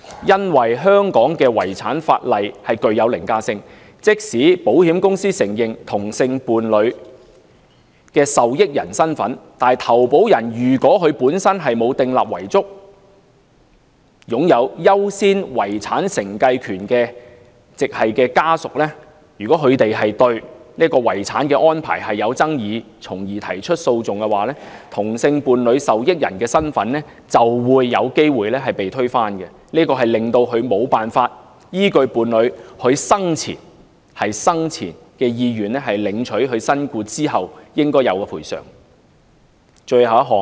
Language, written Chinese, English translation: Cantonese, 由於香港的遺產法例具凌駕性，即使保險公司承認同性伴侶的受益人身份，但如果投保人本身沒有訂立遺囑，而擁有優先遺產承繼權的直系家屬對遺產安排有爭議而提起訴訟的話，同性伴侶的受益人身份就會有機會被推翻，導致無法依據伴侶生前的意願，領取其身故之後應有的賠償。, Since Hong Kongs estate legislation is overriding even if the insurance company recognizes the identity of a same - sex partner as the beneficiary in the case that the insured has not made a will and the immediate family with the priority right to inherit has brought an action because it disputes the inheritance arrangement the same - sex partners identity as beneficiary may possibly be invalidated making it impossible to receive the due compensation after the partners death in accordance with his or her will